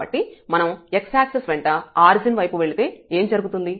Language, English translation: Telugu, So, along x axis if we move towards the origin, then what will happen